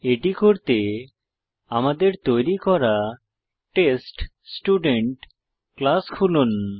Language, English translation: Bengali, For that, let us open the TestStudent class which we had already created